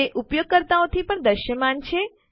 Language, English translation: Gujarati, It is visible to the user